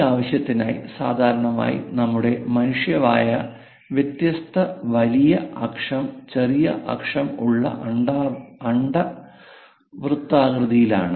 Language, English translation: Malayalam, For that purpose, usually our human mouth it is in elliptical format of different major axis, minor axis; so for an ellipse